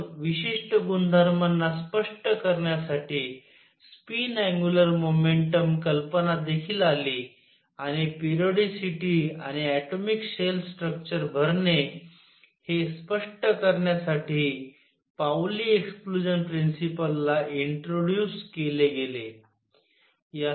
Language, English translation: Marathi, Then the idea of spin angular momentum also came to explain certain properties Pauli exclusion principle was introduced to explain the periodicity, and the filling of atomic shell structure